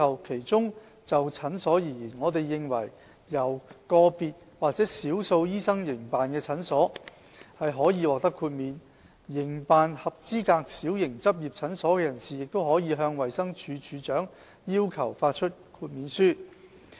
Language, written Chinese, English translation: Cantonese, 其中，就診所而言，我們認為由個別或少數醫生營辦的診所可以獲得豁免；營辦合資格小型執業診所的人士亦可以向衞生署署長要求發出豁免書。, As far as clinics are concerned we consider that those clinics which involve only solo or small group practice should be exempted under the new regime . Any person operating a small practice clinic may ask the Director of Health DoH for granting the exemption